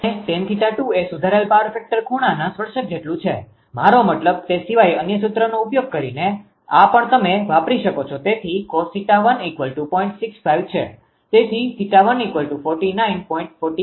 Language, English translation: Gujarati, And tan theta 2 is equal to tangent of improved power factor angle I mean using that other formula also apart from that one, this one also you can use right to cos theta 1 is 0